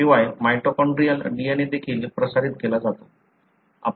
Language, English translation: Marathi, Moreover, mitochondrial DNA is also transmitted